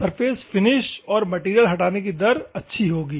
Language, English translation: Hindi, The good surface finish and material removal will be taken place